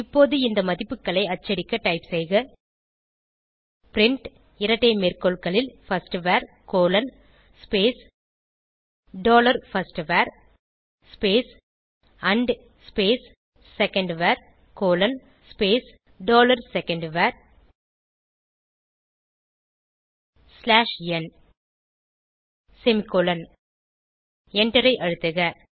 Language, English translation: Tamil, Now to print these values, type print double quote firstVar: dollar firstVar and secondVar: dollar secondVar slash n close double quote semicolon press Enter